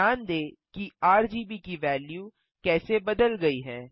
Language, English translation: Hindi, Notice how the values of RGB have changed as well